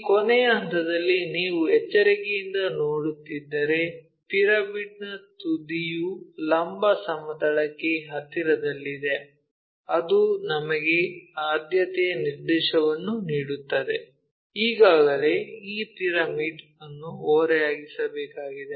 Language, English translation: Kannada, If you are looking carefully at this last point the apex of the pyramid being near to vertical plane that gives us preferential direction already which way we have to orient this pyramid